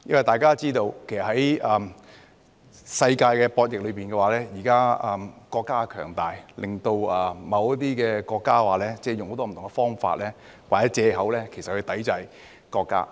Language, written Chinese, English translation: Cantonese, 大家也知道，在世界的博弈裏，現時國家強大，令某些國家用很多不同的方法或藉口抵制國家。, As we all know in the rivalry of the world some countries resort to different means or excuses to boycott our country which is now strong